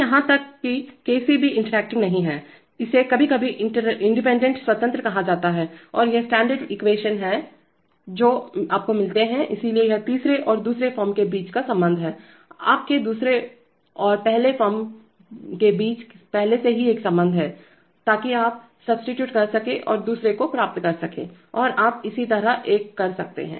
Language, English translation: Hindi, That, that even a by, even Kc is not interacting, it is sometimes called gain independent and these are the standard equations which you get by, so this is the relationship between the third form and the second form, you already have a relationship between the second and the first, so you can substitute and get the other one and you can similarly do a, do a derivative limiting by having another, you know, lag term with the derivative term